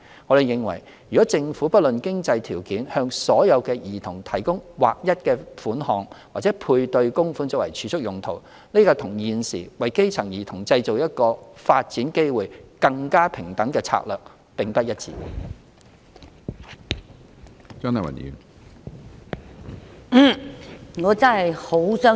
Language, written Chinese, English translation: Cantonese, 我們認為，如政府不論經濟條件向所有兒童提供劃一的款項或配對供款作儲蓄用途，這與現時為基層兒童製造一個發展機會更平等的策略並不一致。, We hold the view that providing all children with a uniform payment or matching contribution by the Government for saving purposes irrespective of their financial background is not in line with our current strategy of creating more equal development opportunities for children from underprivileged families